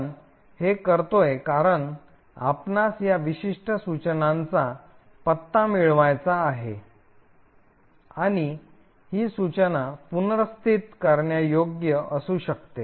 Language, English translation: Marathi, The reason why we do this is that you want to get the address of this particular instruction and this instruction can be relocatable